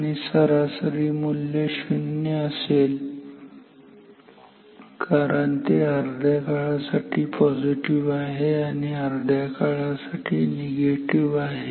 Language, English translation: Marathi, And, the average value so, for input 0 because it is positive for half of the times, negative for half of the times